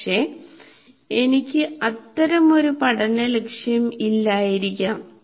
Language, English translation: Malayalam, But I may not put such a learning goal